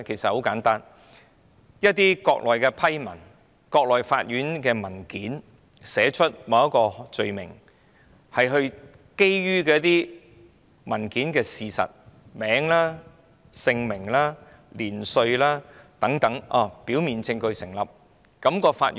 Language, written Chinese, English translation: Cantonese, 很簡單，一些國內的批文和國內法院的文件會寫出某項罪名，以及基於甚麼事實，也包括有關人士的姓名、年齡等，如果表面證據成立，法院便要處理。, It is very simple . The officially approved and court documents of a case on the Mainland will list out the offence committed the factual basis as well as the name and age of the person concerned . If a prima facie case is established the court will have to handle it